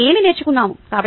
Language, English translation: Telugu, what are we learnt